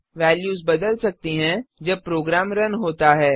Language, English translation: Hindi, The values can change when a program runs